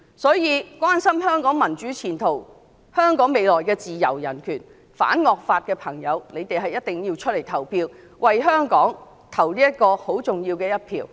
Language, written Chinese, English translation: Cantonese, 所以，關心香港民主前途、香港未來的自由人權、反惡法的選民一定要出來投票，為香港投下重要的一票。, Thus people who care about the prospect of democracy freedom and human rights in Hong Kong and those who are against draconian laws should cast their votes which will be important to Hong Kong